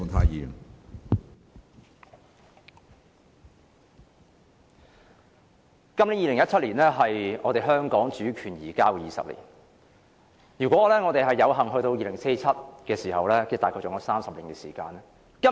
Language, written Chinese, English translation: Cantonese, 2017年是香港主權移交的第二十年，如果我們有幸活到2047年，我們還有約30年時間。, The year 2017 is the 20 year after the transfer of sovereignty over Hong Kong and if we are lucky enough to live until 2047 we will have about 30 years